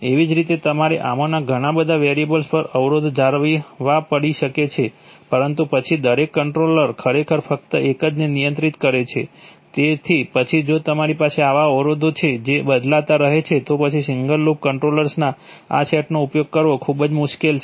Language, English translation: Gujarati, Similarly you may have to maintain constraints over several of these variables but then each controller is actually controlling only one, so then if you have such constraints which keep changing then is very difficult to use this set of single loop controllers